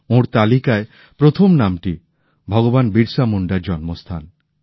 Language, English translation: Bengali, The first name on his list is that of the birthplace of Bhagwan Birsa Munda